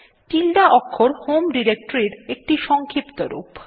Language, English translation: Bengali, The tilde(~) character is a shorthand for the home directory